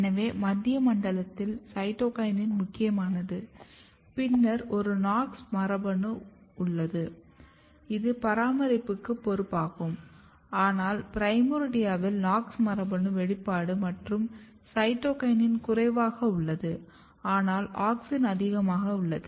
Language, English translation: Tamil, So, if you look the central zone, in central zone a cytokinin is predominant and then you have a KNOX gene which is responsible for the maintenance, but in the primordia KNOX gene expression is low cytokinin is low, but auxin is high